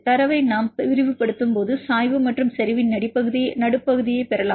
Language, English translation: Tamil, When we extrapolate the data we can get the slope and the midpoint of the concentration we will get the m and C